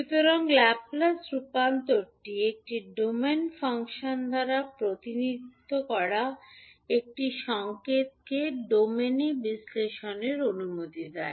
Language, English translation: Bengali, So, basically the Laplace transform allows a signal represented by a time domain function to be analyzed in the s domain